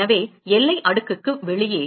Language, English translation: Tamil, So, therefore, outside the boundary layer